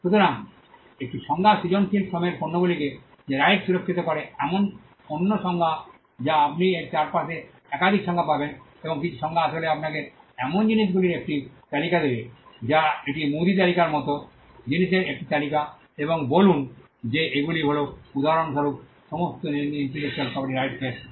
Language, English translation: Bengali, So, one definition the rights that protect the products of creative Labour that is another definition you will find multiple definitions around this and some definitions would actually give you a list of things it is more like a grocery list; a list of things and say that these are all intellectual property rights for instance